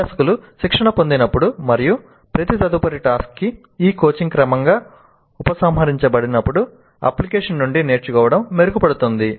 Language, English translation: Telugu, Learning from an application is enhanced when learners are coached and when this coaching is gradually withdrawn for each subsequent task